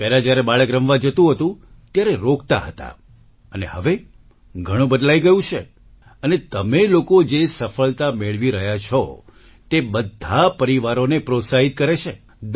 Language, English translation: Gujarati, Earlier, when a child used to go to play, they used to stop, and now, times have changed and the success that you people have been achieving, motivates all the families